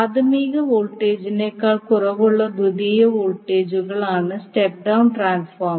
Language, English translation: Malayalam, Step down transformer is the one whose secondary voltages is less than the primary voltage